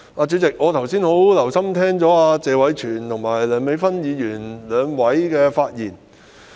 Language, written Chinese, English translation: Cantonese, 主席，我剛才十分留心聆聽謝偉銓議員和梁美芬議員的發言。, President I have listened very attentively to the speeches made respectively just now by Mr Tony TSE and Dr Priscilla LEUNG